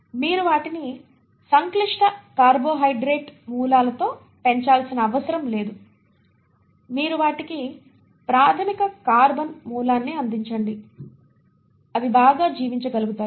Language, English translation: Telugu, You do not have to grow them with complex carbohydrate sources, you give them basic carbon source and they are able to survive very well